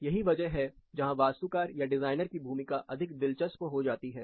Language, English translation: Hindi, This is where a role of architect or designer gets more interesting